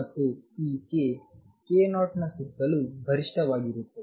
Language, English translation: Kannada, And this k a is peak around k 0